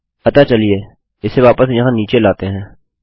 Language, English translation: Hindi, So, lets take this back down here